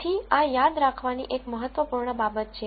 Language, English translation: Gujarati, So, this is an important thing to remember